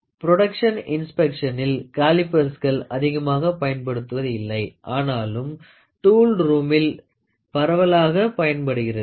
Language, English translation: Tamil, So, even though calipers are rarely used in the production inspection, they are very widely used in the tool room